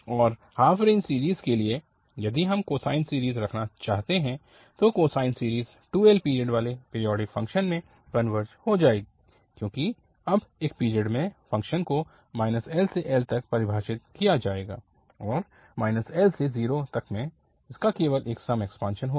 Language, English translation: Hindi, Now for the half range series, if we want to have this cosine series, then the cosine series will converge to the periodic function having period 2L because now the in one period the function will be defined from minus L to L, and minus L to 0 it will have just even extension